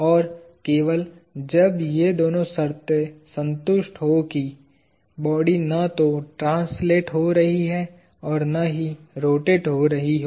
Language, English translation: Hindi, And, only when both these conditions are satisfied; that the body is neither translating nor rotating